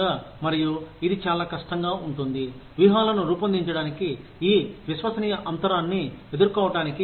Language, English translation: Telugu, And, it could be very difficult, to design strategies, to deal with this trust gap